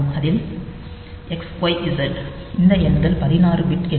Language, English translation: Tamil, version, where this XYZ these numbers are 16 bit numbers